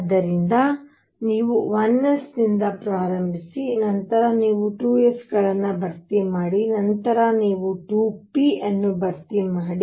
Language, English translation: Kannada, So, you start with 1 s, then you fill 2 s, then you fill 2 p